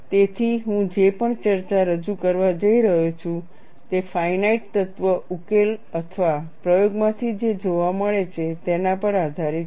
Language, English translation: Gujarati, So, whatever the discussion I am going to present is based on what is seen from finite elemental solution or from experiment